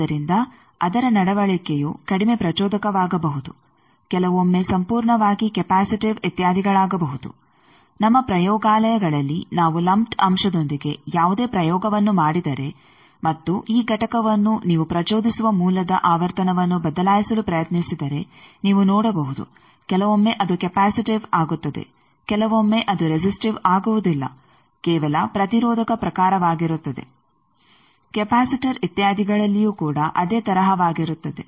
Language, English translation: Kannada, So, that its behaviour may become less inductive sometimes even completely become capacitive etcetera like in our labs, if we do any experiment with a lumped element and try to change the frequency of the source that you excite this component to it you may see that sometimes it becomes capacitive, sometimes it becomes not at all resistive